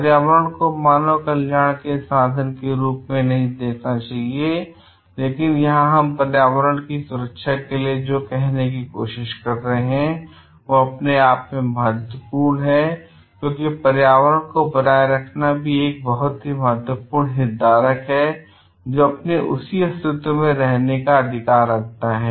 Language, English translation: Hindi, Environment should not be seen as a means to the end of human welfare, but here what we are trying to say the protection of the environment is itself important because import a environment itself is a very important stakeholder, which has its right for its own survival in the form it is in existing